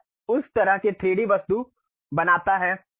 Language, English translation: Hindi, It creates that kind of 3D object